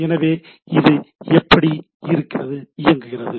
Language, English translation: Tamil, So, how it looks like